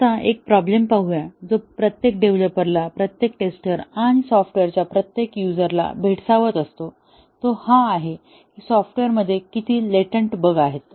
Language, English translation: Marathi, Now, let us look at one problem which bothers every developer, every tester and every user of software; that how many latent bugs are there in the software